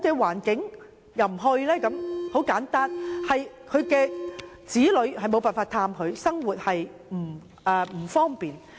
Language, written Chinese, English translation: Cantonese, 原因很簡單，是因為子女無法前往探訪，生活不便。, The reason is very simple It is quite difficult for their children to go visiting them and is inconvenient living there